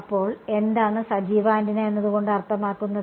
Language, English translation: Malayalam, So, what does that, what does active antenna mean